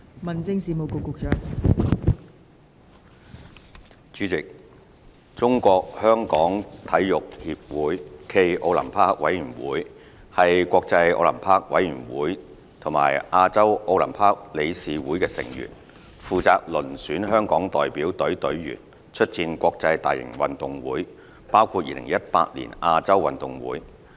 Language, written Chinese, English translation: Cantonese, 代理主席，中國香港體育協會暨奧林匹克委員會是國際奧林匹克委員會和亞洲奧林匹克理事會的成員，負責遴選香港代表隊隊員出戰國際大型運動會，包括2018年亞洲運動會。, Deputy President the Sports Federation Olympic Committee of Hong Kong China SFOC is a member of the International Olympic Committee and the Olympic Council of Asia . It is responsible for selecting the Hong Kong Delegation to compete in major international multisport events including the 2018 Asian Games